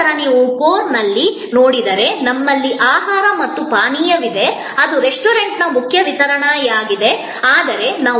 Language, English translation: Kannada, Then you see at the core, we have food and beverage that is the main core delivery of the restaurant